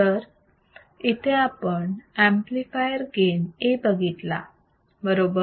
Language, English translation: Marathi, There is a amplifier here with voltage gain A